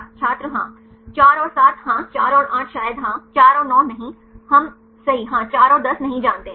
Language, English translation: Hindi, yes 4 and 7 yes, 4 and 8 probably yes, 4 and 9 no we know right yeah 4 and 10 no